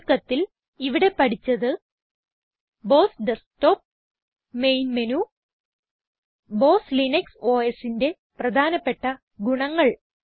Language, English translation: Malayalam, In this tutorial we learnt about the BOSS Desktop, the main menu and many important features of BOSS Linux OS